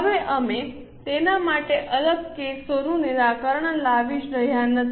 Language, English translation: Gujarati, Now we are not solving separate cases for it